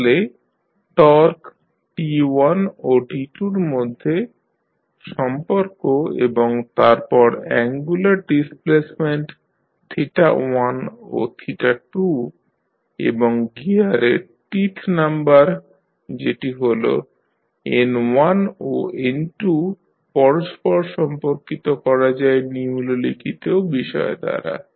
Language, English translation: Bengali, So, the relationship between torque T1 and T2 and then angular displacement theta 1 and theta 2 and the teeth numbers in the gear that is N1 and N2 can be correlated with the following facts